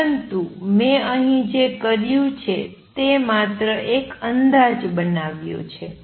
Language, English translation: Gujarati, But what I have done here is just made an estimate